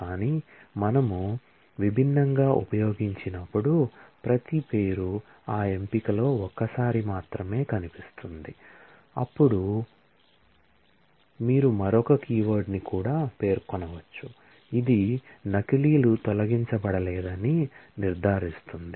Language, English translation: Telugu, But when we use distinct, then the every name will feature only once in that selection, then you can also specify another keyword all, which ensures that the duplicates are not removed